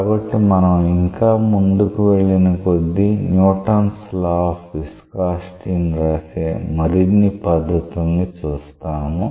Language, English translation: Telugu, So, as we advance and proceed more and more we will come into more and more decorous ways of writing the Newton s law of viscosity